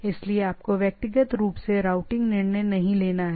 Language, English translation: Hindi, So you do not have to individually you don’t have to take the routing decision